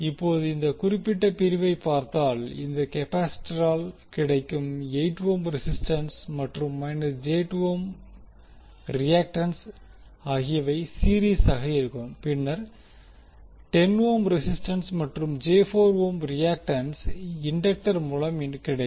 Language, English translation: Tamil, Now, if you see this particular segment that is 8 ohm resistance in series with minus j2 ohm reactance offered by capacitance and then 10 ohm resistance and j4 reactance offered by the inductor